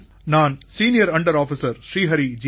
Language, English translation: Tamil, This is senior under Officer Sri Hari G